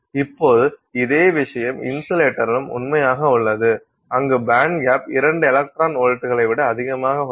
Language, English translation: Tamil, Now the same thing is true with an insulator where the band gap is greater than greater than two electron volts